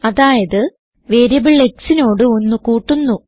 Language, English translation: Malayalam, That means the variable x is increased by one